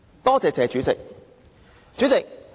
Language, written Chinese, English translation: Cantonese, 多謝"謝主席"。, Thank you President TSE